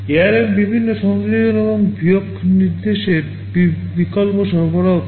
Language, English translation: Bengali, ARM provides with various addition and subtraction instruction alternatives